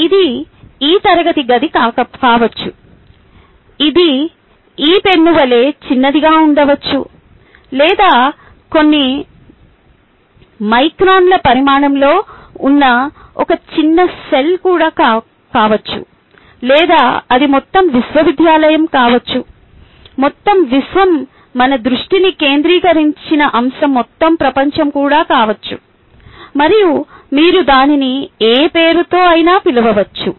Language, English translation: Telugu, it could be this classroom, it could be even as small as this pen, or even a small cell which is a few microns in size, or it could be the entire university, the entire building, the entire universe, whatever you want, entire a world, and so on, so forth, whatever you want to call it, whatever we focus our attention form